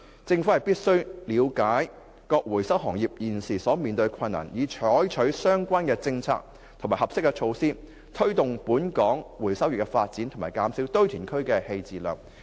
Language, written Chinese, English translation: Cantonese, 政府必須了解各回收行業現時面對的困難，以採取相關政策及合適措施，推動本港回收業的發展和減少堆填區棄置量。, The Government must understand the difficulties faced by the recovery trade so as to adopt relevant polices and proper measures to promote Hong Kongs recovery industry and reduce the disposal of waste at landfills